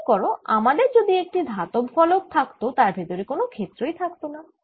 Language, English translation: Bengali, remember if i had a metallic slab on the left, there will be no field inside